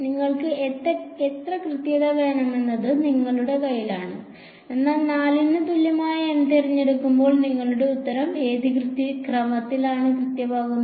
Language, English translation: Malayalam, It is in your hand how much accuracy you want, but when you choose N equal to 4 your answer is accurate to what order